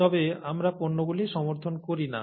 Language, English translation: Bengali, But we do not endorse the products